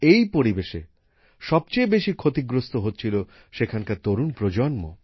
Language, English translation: Bengali, The biggest brunt of this kind of environment was being borne by the youth here